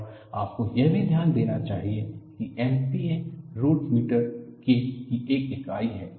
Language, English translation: Hindi, And you should also note down that K has a unit of MP a root meter